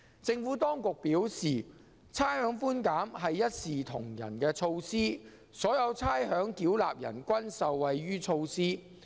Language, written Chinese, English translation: Cantonese, 政府當局表示，差餉寬減是一視同仁的措施，所有差餉繳納人均受惠於措施。, The Administration has responded that rates concession is implemented on an equal - footing basis in that the measure benefits all ratepayers